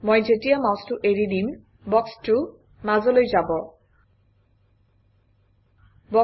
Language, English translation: Assamese, As I release the mouse, the box gets moved to the centre